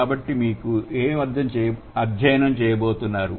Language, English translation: Telugu, So, what are we going to study here